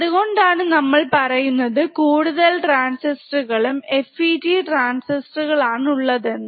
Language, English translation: Malayalam, So, that is why we are saying as many transistors including FET's resistors